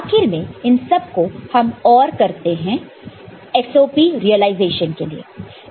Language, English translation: Hindi, And finally, all of them are ORed, and you get a SOP realization of this